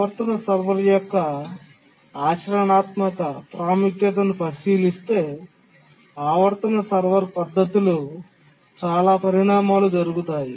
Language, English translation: Telugu, Considering the practical importance of the periodic servers, lot of work has, a lot of developments have taken place in the periodic server technique